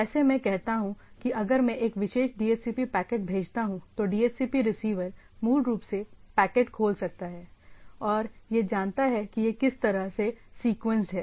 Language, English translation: Hindi, Like I say if I send a particular a DHCP packet, the DHCP receiver can basically open the packet and it knows that these are the way it is sequenced